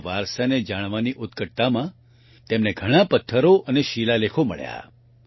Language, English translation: Gujarati, In his passion to know his heritage, he found many stones and inscriptions